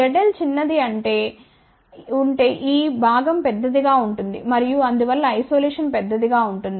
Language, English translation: Telugu, If Z l is small; that means, this component will be large and hence isolation will be large